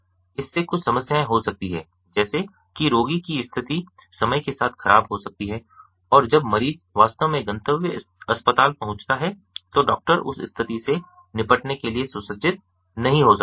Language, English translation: Hindi, this may lead to some problems, such as the patient condition may degrade over time and when the patient actually reaches the destination hospital, the doctors they are may not be ah equipped to deal with that condition